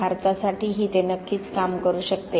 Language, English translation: Marathi, Surely it can work for India as well